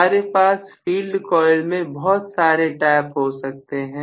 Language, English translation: Hindi, So, I can have multiple taps in the field coil